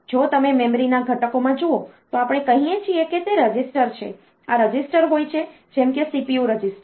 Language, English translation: Gujarati, If you look into the components of the memory, we say that it is registers; these registers such as CPU register